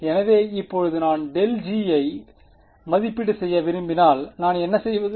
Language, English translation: Tamil, So, now, if I want to evaluate grad g what do I do